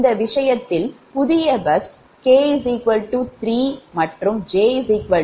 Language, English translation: Tamil, that new bus k is equal to three and j is equal to one